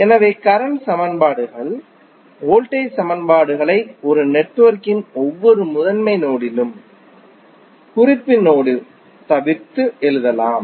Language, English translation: Tamil, So, the current equations enhance the voltage equations may be written at each principal node of a network with exception of reference node